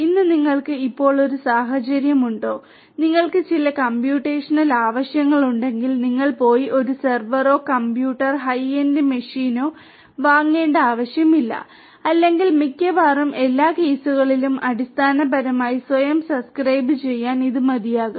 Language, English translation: Malayalam, Is you have a scenario at present you know today you do not really if you have some computational needs you really do not need to go and buy a server, a computer or a high end machine or whatever it is sufficient nowadays in most of the cases to basically you know subscribe yourself to some of these online computational resources and try to use them